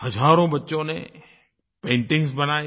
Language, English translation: Hindi, Thousands of children made paintings